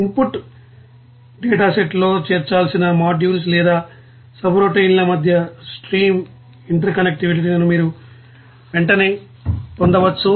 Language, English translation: Telugu, And you can immediately write down the stream interconnections between the modules or subroutines that have to be included in the input dataset